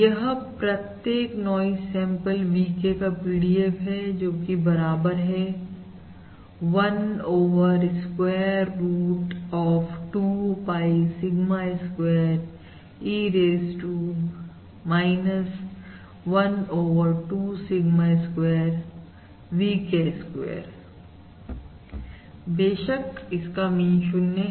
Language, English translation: Hindi, So this is the probability density function of each noise sample VK, which we said is 1 over square root of 2 pie Sigma square E, raised to minus1 over 2 Sigma square times P square K